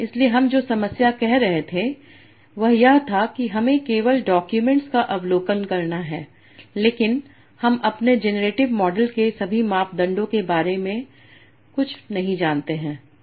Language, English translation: Hindi, So problem we were saying was that we we have observing only the documents but we know nothing about all the parameters of my genetic model